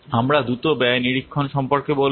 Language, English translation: Bengali, I will quickly say about the cost monitoring